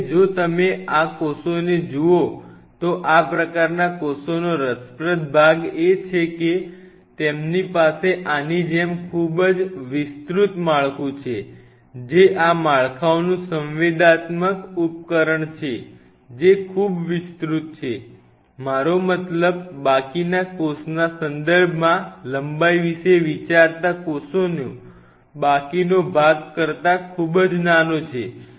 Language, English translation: Gujarati, Now, if you look at these cells the interesting part of these kind of cells are they have a very extended structure like this, which is the sensory apparatus of these structures very extended I mean think of the length with respect to the rest of the cell body rest of the cell body is very small right